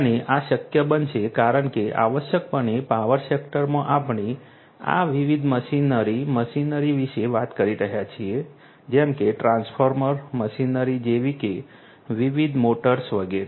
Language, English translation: Gujarati, And this would be possible because essentially in the power sector we are talking about these different machinery machineries like transformer machineries like different motors, etcetera right